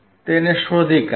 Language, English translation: Gujarati, Find it out